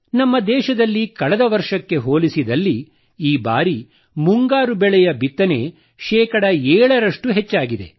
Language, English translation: Kannada, This time around in our country, sowing of kharif crops has increased by 7 percent compared to last year